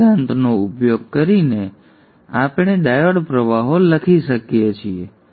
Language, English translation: Gujarati, So using that principle, we can write the diode currents